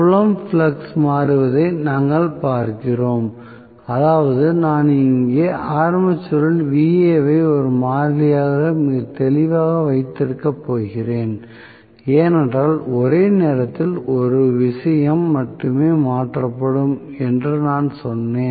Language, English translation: Tamil, So we are looking at field flux changing which means I am going to have here the armature I am going to keep very clearly Va as a constant because I told you only one thing is changed at a time